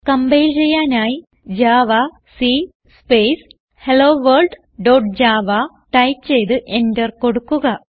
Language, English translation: Malayalam, Lets compile this file so type javac Space HelloWorld dot java and hit enter This compile the file that we have created